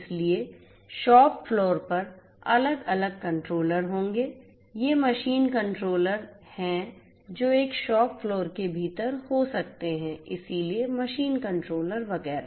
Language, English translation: Hindi, So, shop floor will have different controllers, these are machine controllers that might be there within a shop floor so machine controllers and so on